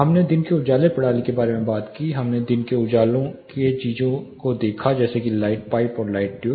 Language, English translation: Hindi, We talked about daylight harnessing system, we looked at daylight harvesting things like light pipes and light tubes